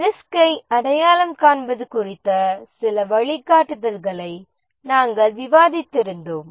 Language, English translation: Tamil, We had discussed some guidelines about how to go about identifying the risks